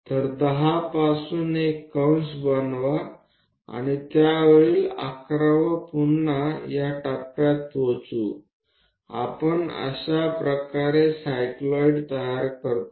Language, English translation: Marathi, So, from 10 make an arc and 11th one on that and 12th again comes to that point, this is the way we construct a cycloid